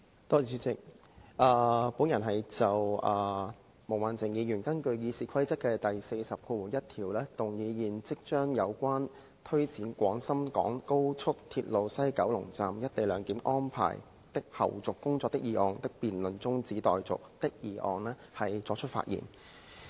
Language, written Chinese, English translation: Cantonese, 我就毛孟靜議員根據《議事規則》第401條動議現即將"有關推展廣深港高速鐵路西九龍站'一地兩檢'安排的後續工作的議案"辯論中止待續的議案發言。, I would like to speak on Ms Claudia MOs motion under Rule 401 of the Rules of Procedure that the debate on the motion concerning Taking forward the follow - up tasks of the co - location arrangement at the West Kowloon Station of the Guangzhou - Shenzhen - Hong Kong Express Rail Link be now adjourned